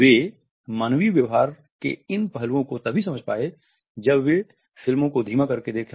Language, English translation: Hindi, They stumbled upon these aspects of human behavior only when they were watching the films by slowing them down